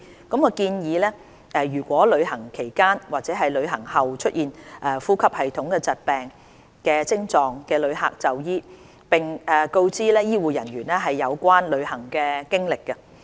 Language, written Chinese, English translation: Cantonese, 世衞建議，旅行期間或旅行後出現呼吸系統疾病症狀的旅客就醫，並告知醫護人員有關旅行經歷。, As recommended by WHO in case of symptoms suggestive of respiratory illness either during or after travel travellers are encouraged to seek medical attention and share travel history with health care personnel